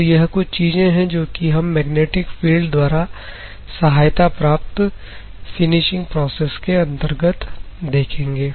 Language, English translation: Hindi, These are the things that we will see in the category of magnetic field assisted finishing processes